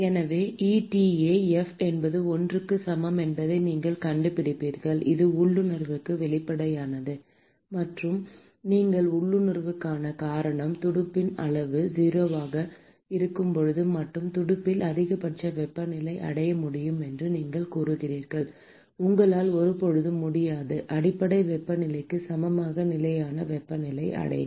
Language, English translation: Tamil, So, you will find out that eta f is equal to 1 that is sort of obvious to intuit and the reason why you can intuit is you said that the maximum temperature in the fin is achievable only when the fin size is 0, you can never achieve a constant temperature which is equal to the base temperature